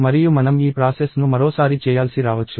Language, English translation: Telugu, And we may have to do this process once more